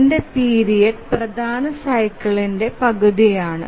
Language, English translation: Malayalam, So its period is half the major cycle